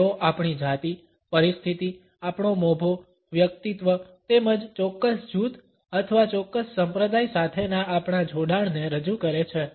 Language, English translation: Gujarati, They project our gender, position, our status, personality as well as our affiliation either with a particular group or a particular sect